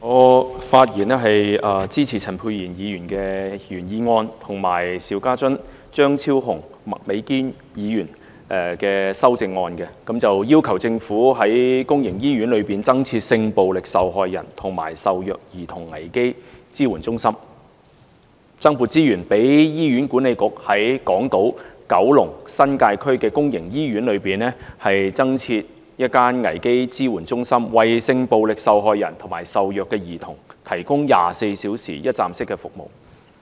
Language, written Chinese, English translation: Cantonese, 我發言支持陳沛然議員的原議案，以及邵家臻議員、張超雄議員和麥美娟議員的修正案，要求政府在公營醫院內增設性暴力受害人及受虐兒童危機支援中心，增撥資源讓醫院管理局在港島、九龍、新界區的公營醫院內增設一間危機支援中心，為性暴力受害人及受虐兒童提供24小時一站式服務。, I speak in support of Dr Pierre CHANs original motion and the amendments proposed by Mr SHIU Ka - chun Dr Fernando CHEUNG and Ms Alice MAK on requesting the Government to set up crisis support centres for sexual violence victims and abused children in public hospitals and to allocate additional resources to the Hospital Authority for the purpose of setting up a crisis support centre in public hospitals respectively in the New Territories on Hong Kong Island and in Kowloon to provide sexual violence victims and abused children with 24 - hour one - stop services